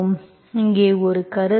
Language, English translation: Tamil, So one remark here